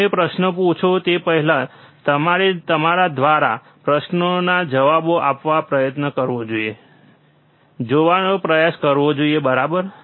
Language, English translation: Gujarati, You bBefore you ask questions, you should try to answer this question by yourself, try to see, right